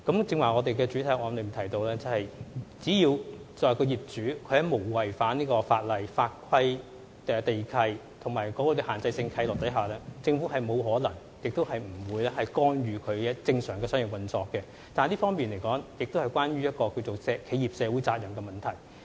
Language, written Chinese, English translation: Cantonese, 正如我在主體答覆中提到，只要業主沒有違反法規、地契條款或限制性契諾，政府沒有可能、亦不會干預其正常的商業運作，但這方面亦關乎企業社會責任問題。, As I said in the main reply if the landlord has not breached any laws land lease conditions or restrictive covenants the Government cannot and will not interfere with its normal business operation . This is an area which also concerns corporate social responsibility